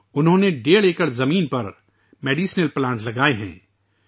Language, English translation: Urdu, He has planted medicinal plants on one and a half acres of land